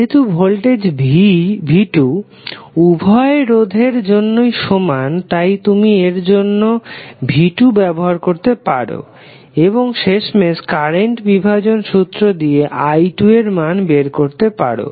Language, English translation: Bengali, Since this voltage V2 is common for both resistors, you can find out the value V2, for this combination and then finally using the current division you can find out the value of pi2